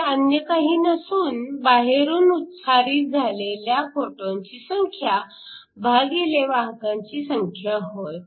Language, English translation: Marathi, So, this is the number of photons that generated internally divided by total number carriers